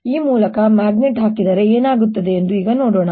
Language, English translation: Kannada, let us now see what happens if i put a magnet through this